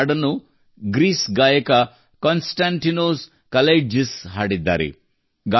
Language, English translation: Kannada, This song has been sung by the singer from Greece 'Konstantinos Kalaitzis'